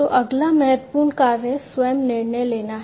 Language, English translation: Hindi, So, the next important function is the self decision making